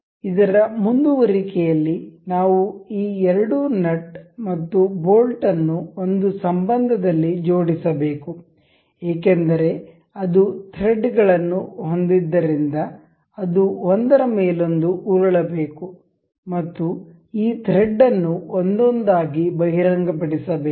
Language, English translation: Kannada, In continuation with this we can we need we should assemble these two nut and bolt in a relation that it should because it had threads it should roll over each other and uncover this thread one by one